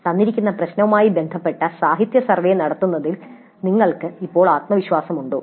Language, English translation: Malayalam, How confident do you feel now in carrying out the literature survey related to a given problem related to self learning